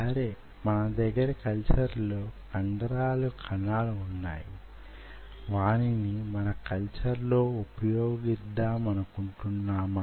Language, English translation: Telugu, so you have these muscle cells in a culture, and that do we want to do in a culture